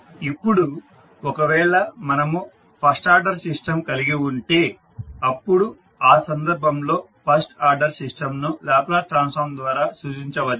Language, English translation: Telugu, Now, if we have a first order system then in that case the first order system can be represented by the Laplace transform